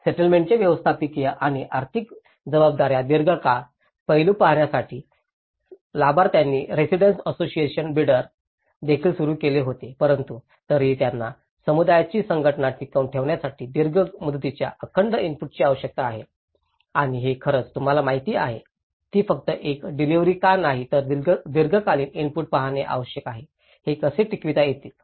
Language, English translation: Marathi, And also a Residents Association Beyder was started by the beneficiaries to see the managerial and financial responsibilities of the settlement, in the long run, aspect but then still they need the sustained input over the long term to help maintain the organization of the community and this has actually you know, why it’s not only a delivery but one has to look at the long term input, how this could be sustained